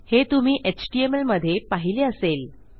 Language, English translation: Marathi, You may have seen this somewhere before in html